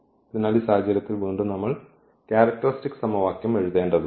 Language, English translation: Malayalam, So, in this case again we need to write the characteristic equation